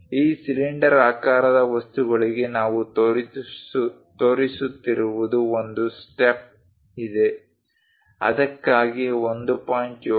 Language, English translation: Kannada, For these cylindrical objects what we are showing is there is a step, for that there is a length of 1